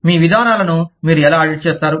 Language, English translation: Telugu, How do you audit, your procedures